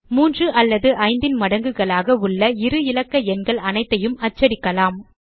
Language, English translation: Tamil, Now let us print all the 2 digit numbers that are multiples of 3 or 5